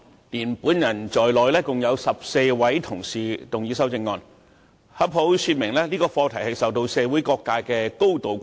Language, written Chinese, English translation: Cantonese, 包括我在內，共有14位同事動議修正案，這正好說明這議題受到社會各界高度關注。, Totally 14 Members me included have moved amendments and this can show the great social concern over this issue